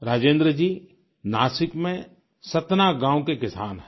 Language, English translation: Hindi, Rajendra ji is a farmer from Satna village in Nasik